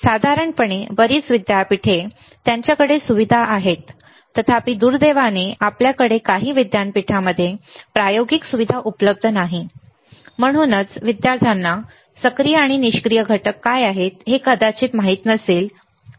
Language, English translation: Marathi, Generally, lot of universities they have the facility; however, unfortunately few of the universities we do not have the experimental facility, and that is why the students may or may not know what are the active and passive components